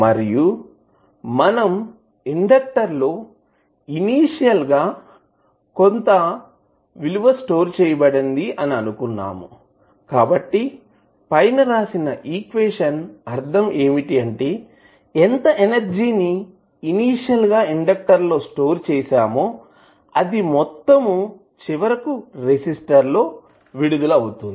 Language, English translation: Telugu, And this is what we assume that the initial value stored in the inductor, so that means that whatever the initial energy was stored in the inductor, is eventually dissipated in the resistor